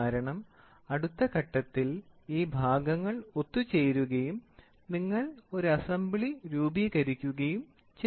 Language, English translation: Malayalam, Because in the next stage, these parts are going to get mated and you form an assembly